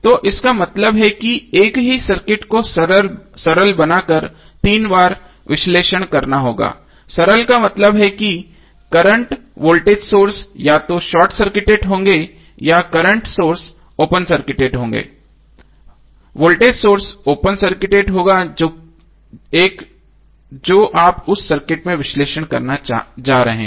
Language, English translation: Hindi, So it means that the same circuit you have to analyze 3 times by making them simpler, simpler means the current voltage sources would be either short circuited or current source would be open circuited and voltage source would be open circuited except 1 which you are going to analyze in that circuit